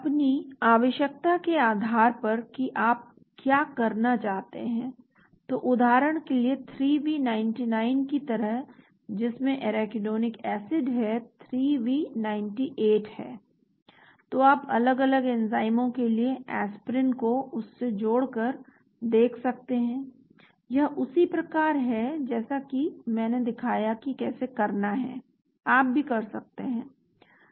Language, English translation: Hindi, Depending upon your requirement what you want to do, so for example just like 3V99 which has got Arachidonic acid there is 3V98, so you can look at different enzymes Aspirin binding to that, this is like I showed how to do that, you can also do that